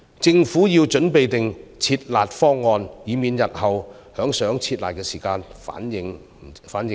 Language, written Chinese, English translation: Cantonese, 政府要準備"撤辣"方案，以免日後想"撤辣"時反應不及。, The Government would need to come up with a withdrawal plan lest it could not respond accordingly when the time actually comes